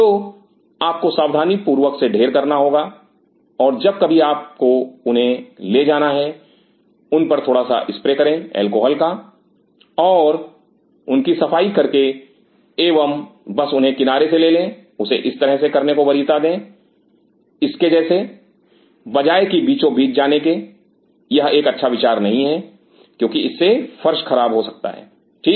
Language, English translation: Hindi, So, you have to be careful stack them properly and whenever you need to take them just spray them little bit with an alcohol and clean them and just take them from the side and prefer to follow like this, like this instead of going through the center it is not a good idea because its spoils the floor ok